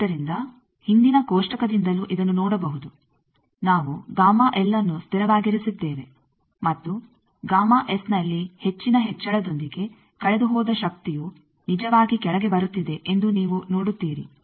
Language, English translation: Kannada, So, that can be also seen from the table previous table that you see we have kept gamma L constant and with more increase in the gamma S you see the power lost actually is coming down